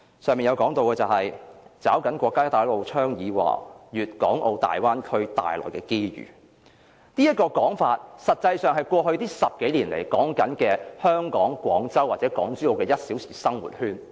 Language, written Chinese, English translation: Cantonese, 施政報告的前言提到"抓緊國家'一帶一路'倡議和'粵港澳大灣區'帶來的機遇"，這個說法，實際上是指過去10多年來宣傳的廣珠澳 "1 小時生活圈"。, The Policy Address proposes in its Introduction that we should seize the opportunities brought by the national Belt and Road Initiative and the Guangdong - Hong Kong - Macao Bay Area development . This proposition is actually the one - hour living circle encompassing Guangzhou Zhuhai and Macao that has been publicized for more than a decade